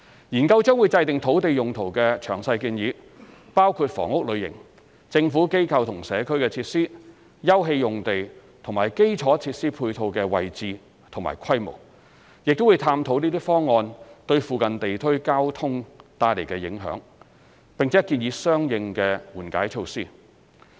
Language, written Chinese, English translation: Cantonese, 研究將會制訂土地用途詳細建議，包括房屋類型、"政府、機構或社區"設施、休憩用地和基礎設施配套的位置及規模，亦會探討這些方案對附近地區交通帶來的影響，並建議相應的緩解措施。, The Study will formulate detailed land use recommendations including housing types Government Institution or Community GIC facilities open space use and the location and scale of infrastructure facilities . It also examines the traffic impact on the nearby areas caused by these development options and recommends corresponding mitigation measures